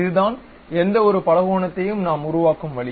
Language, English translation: Tamil, This is the way we construct any polygon